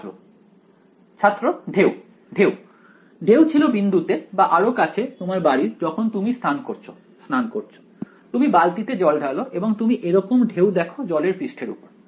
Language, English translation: Bengali, Ripples; ripples were in the point or even closer to home in when you are have a bath, you put water in your bucket you see ripples like this right on the surface of the water right